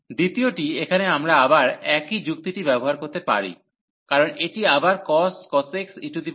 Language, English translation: Bengali, The second one here we can again use the same argument, because again this e power minus x cos x over this x square